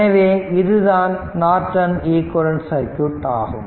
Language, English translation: Tamil, So, that means, this is that Norton equivalent circuit right